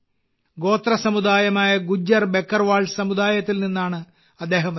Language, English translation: Malayalam, He comes from the Gujjar Bakarwal community which is a tribal community